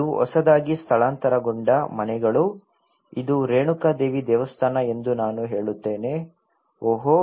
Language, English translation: Kannada, This is newly relocation houses, I say this is Renuka Devi temple then oh